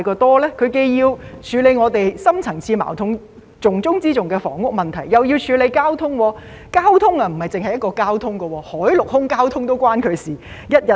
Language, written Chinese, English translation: Cantonese, 陳局長既要處理我們的深層次矛盾——重中之重的房屋問題，又要處理交通事宜；交通不止是一種交通，海、陸、空的交通也與他有關。, Not only does Secretary Frank CHAN have to address the deep - rooted conflict which is of top priority ie . the housing problem he also needs to deal with transport - related matters which concern more than one aspect . Everything about the sea land and air transport is within his remit